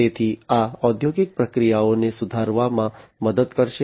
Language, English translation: Gujarati, So, these will help in improving these industrial processes